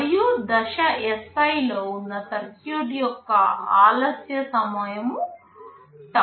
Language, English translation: Telugu, And ti is the time delay for the circuit that is there in stage Si